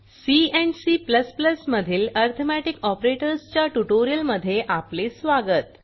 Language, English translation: Marathi, Welcome to the spoken tutorial on Arithmetic Operators in C C++